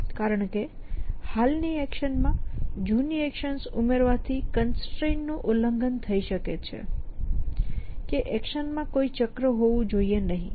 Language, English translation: Gujarati, Because taking an old action existing action may actually violated the constant that the should be no cycle in the action